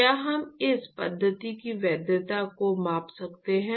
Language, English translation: Hindi, Can we quantify the validity of this method